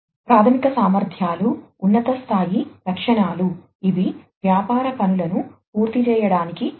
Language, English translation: Telugu, Fundamental capabilities are high level specifications, which are essential to complete business tasks